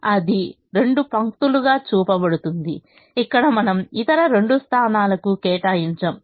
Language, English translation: Telugu, so that is shown as two lines where we do not allocate to the other two positions